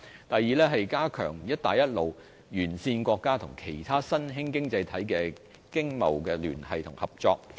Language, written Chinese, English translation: Cantonese, 第二，是加強與"一帶一路"沿線國家及其他新興經濟體的經貿聯繫和合作。, Second it is about strengthening economic ties and cooperation with the Belt and Road countries and other emerging economies